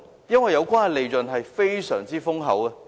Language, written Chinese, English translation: Cantonese, 因為有關的利潤十分豐厚。, Because the profit was substantial